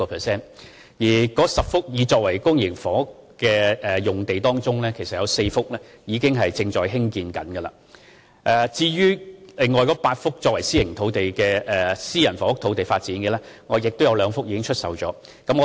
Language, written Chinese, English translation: Cantonese, 在該10幅擬作為發展公營房屋的用地中，有4幅其實已在興建中，而在8幅作為發展私人房屋的用地中，亦有2幅已售出。, Actually construction works in 4 of the 10 sites planned for public housing development are already underway while 2 of the 8 sites planned for private housing development have already been sold